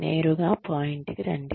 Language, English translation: Telugu, Come straight to the point